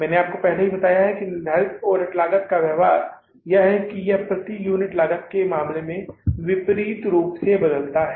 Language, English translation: Hindi, I told you earlier also the behavior of the fixed overhead cost is that it changes inversely in case of the per unit cost